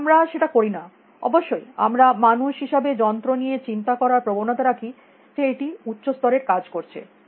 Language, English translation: Bengali, But we do not do that, of course; we as human beings tend to think of machines as doing higher level things